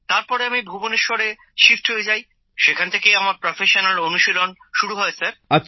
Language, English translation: Bengali, Then after that there was a shift to Bhubaneswar and from there I started professionally sir